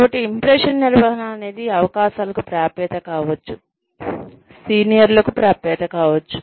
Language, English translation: Telugu, So, impression management, may be access to opportunities, may be access to seniors, maybe